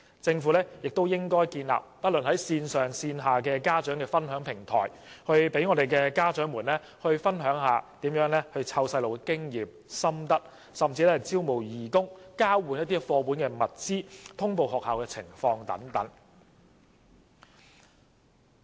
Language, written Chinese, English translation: Cantonese, 政府也應建立不管是線上還是線下的家長分享平台，讓家長分享育兒經驗和心得，甚至招募義工、交換課本和其他物資，通報學校的情況等。, The Government should also establish sharing platforms both online and offline for parents to share child - rearing experience or even recruit volunteers exchange books and other resources provide updates on schools and so on